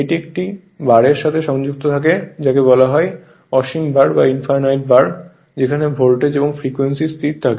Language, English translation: Bengali, And and it is connected to a bars were called infinite bars where voltage and frequency is constant